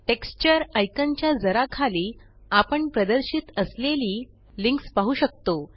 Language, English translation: Marathi, Just below the Texture icon, we can see the links displayed